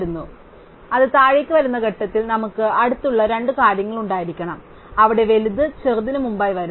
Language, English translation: Malayalam, So, at the point where it comes down, we must have two adjacent things, where the bigger one comes before the smaller one